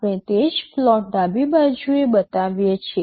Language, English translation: Gujarati, We show that same plot on the left